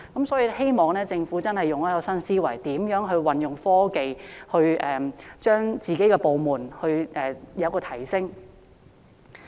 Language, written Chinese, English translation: Cantonese, 所以希望政府運用新思維，運用科技提升有關部門的工作成效。, I hope that the Government will adopt a new mindset and employ new technology to enhance the work efficacy of the relevant department